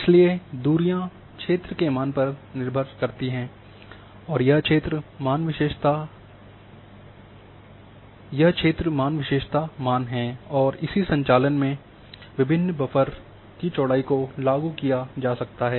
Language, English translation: Hindi, So, buffer as distances are dependent on the field values this field values are attribute values and various buffer width can be applied in the same operation